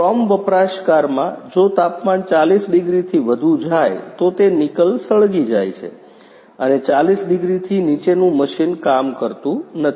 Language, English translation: Gujarati, In chrome utilizer, if temperature goes beyond 40 degrees then it burns nickel and below 40 degree machine doesn't work